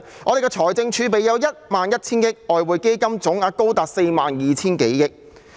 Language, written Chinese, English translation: Cantonese, 我們有1萬 1,000 億元的財政儲備，外匯基金總額高達4萬 2,000 多億元。, How many reserves are there? . Our fiscal reserves stand at 1,100 billion with the size of the Exchange Fund totalling as much as some 4,200 billion